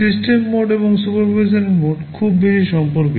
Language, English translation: Bengali, The system mode and supervisory mode are very much related